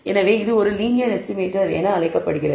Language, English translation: Tamil, Therefore, it is known as a linear estimator